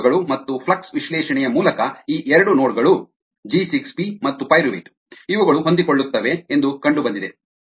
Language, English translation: Kannada, through experiments and flux analysis it was found that these two nodes, g six, p, pyruvate